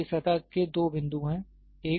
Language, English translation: Hindi, So, this surface has two points, one